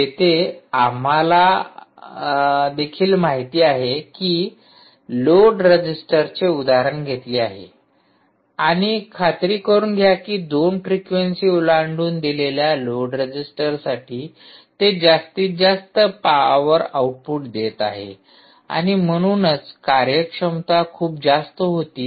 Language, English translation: Marathi, so, and be sure that for a given load resistor, across the two frequencies, it was giving the maximum power output and therefore ah efficiencies were very high